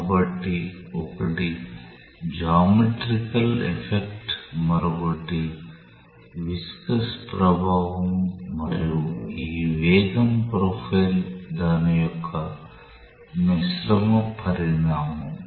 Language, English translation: Telugu, So, one is the geometrical effect another is the viscous effect and this velocity profile is a combined consequence of what has taken place